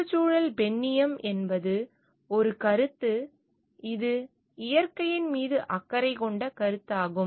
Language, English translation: Tamil, Ecofeminism is a concept; it is a concept of caring for nature